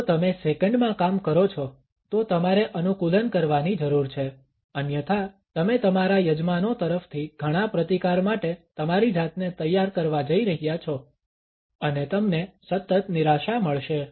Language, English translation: Gujarati, If you work in seconds then you need to adapt otherwise you are going to set yourself up for a lot of resistance from your hosts and you are going to get constant disappointment